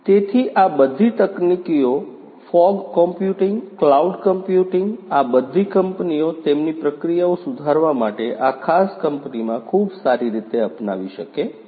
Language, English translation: Gujarati, So, all of these technologies the fog computing, the cloud computing all of these technologies could be very well adopted in this particular company to improve their processes